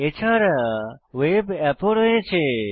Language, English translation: Bengali, We also have a web app node